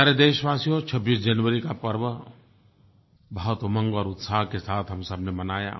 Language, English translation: Hindi, Fellow Citizens, we all celebrated the 26th January with a lot of zeal and enthusiasm